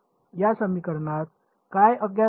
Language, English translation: Marathi, What is the unknown in this equation